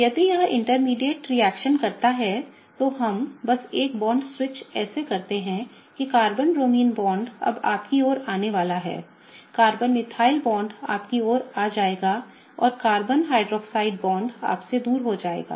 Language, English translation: Hindi, If this particular intermediate reacts, we are gonna just have a bond switch such that the Carbon Bromine bond will be now coming towards you, Carbon Methyl bond will be coming towards you and the Carbon OH bond will be going away from you